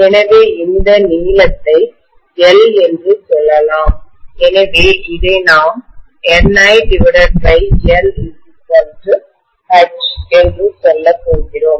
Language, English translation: Tamil, So let us say this length is L, so we are going to say that Ni by L is H